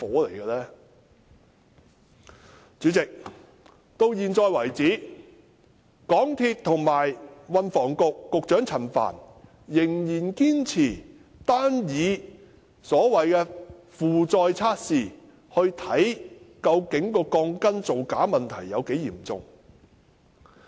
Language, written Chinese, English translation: Cantonese, 代理主席，至現時為止，港鐵公司及運輸及房屋局陳帆，仍然堅持單以所謂的負載測試，以量度鋼筋造假問題有多嚴重。, Deputy President so farm MTRCL and Secretary for Transport and Housing Frank CHAN have insisted on conducting the so - called loading test to measure the seriousness of the steel bar data falsification incident